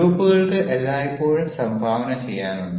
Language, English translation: Malayalam, groups have always much to contribute